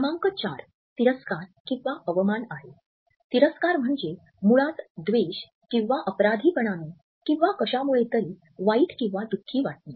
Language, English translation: Marathi, Number 4 is contempt; so, contempt which basically means hatred or guilt or unhappiness with something, is also a pretty easy read